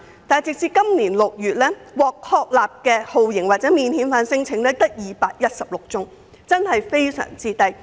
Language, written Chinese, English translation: Cantonese, 但是，截至今年6月，獲確立的酷刑或免遣返聲請只有216宗，數字真的很低。, However as of June this year only 216 such claims were established which is a very small number